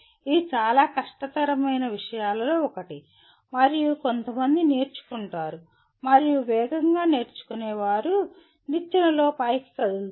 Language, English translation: Telugu, That is the one of the toughest things to do and some people learn and those who learn fast will move up in the ladder